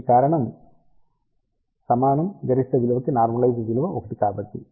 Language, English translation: Telugu, The reason for that is normalized value of this is equal to 1 for maximum value